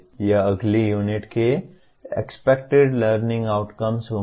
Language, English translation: Hindi, That will be the expected learning outcomes of the next unit